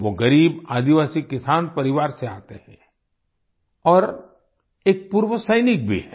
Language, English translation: Hindi, He comes from a poor tribal farmer family, and is also an exserviceman